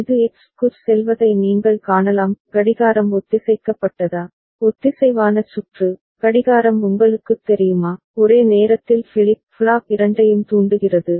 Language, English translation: Tamil, And you can see this is going to X is the clock synchronized, synchronous circuit, clock is you know, triggering both the flip flop simultaneously